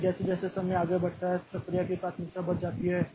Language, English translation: Hindi, So, as time progresses increase the priority of the process